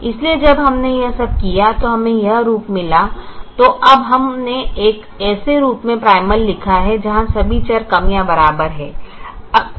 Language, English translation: Hindi, now we wrote the primal in a form where all the variables are less than or equal to